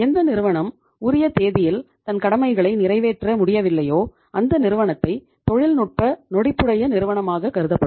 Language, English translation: Tamil, Any firm which is not able to honor its obligation on the due date is considered as technically insolvent firm